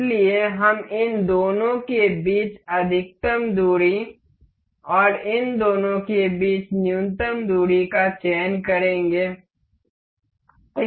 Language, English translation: Hindi, So, we will select a maximum distance between these two and a minimum distance between these two